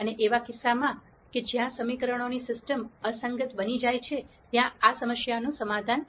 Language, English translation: Gujarati, And in the case where the system of equations become inconsistent, there will be no solution to this problem